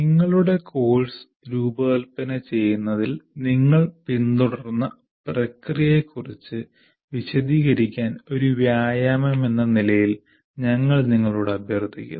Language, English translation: Malayalam, And as an exercise, we request you to describe the process you follow in designing your course, whatever you are following